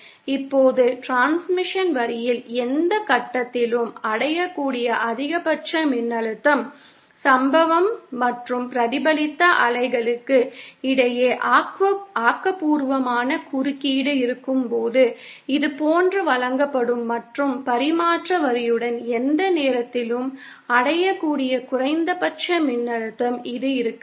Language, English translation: Tamil, Now the maximum voltage that is achieved at any point on the transmission line will be that, will be given like this when there is constructive interference between the incident and reflected waves and the minimum voltage that will be achieved at any point along the transmission line will be this